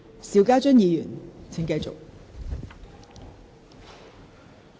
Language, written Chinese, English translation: Cantonese, 邵家臻議員，請繼續發言。, Mr SHIU Ka - chun please continue with your speech